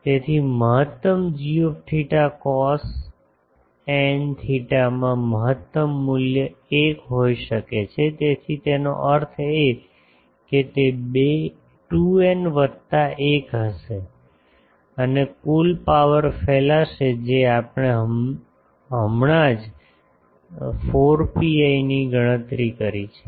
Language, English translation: Gujarati, So, maximum of g theta cos n theta can have maximum value 1; so that means, it will be 2 n plus 1 and total power radiated just now we have calculated 4 pi